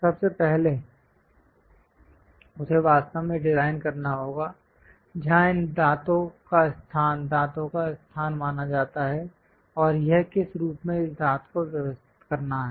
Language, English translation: Hindi, First of all, he has to really design where exactly these teeth location, tooth location supposed to be there and which form it this tooth has to be arranged